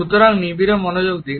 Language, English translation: Bengali, So, pay close attention